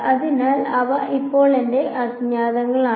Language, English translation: Malayalam, So, these now are my unknowns